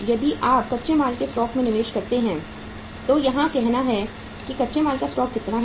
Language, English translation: Hindi, If you take the investment in the raw material stock so what is the your say raw material stock is how much